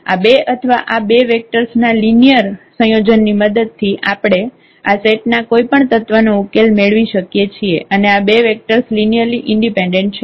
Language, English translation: Gujarati, We can generate any element of this solution set with the help of these two or as a linear combination of these two 2 vectors and these two vectors are linearly independent